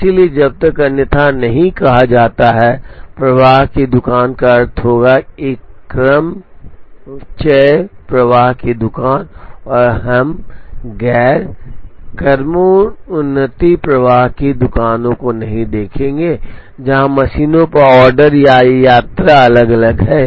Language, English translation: Hindi, So, unless otherwise stated, flow shop would mean a permutation flow shop and we will not look at non permutation flow shops, where the order or visit on the machines are different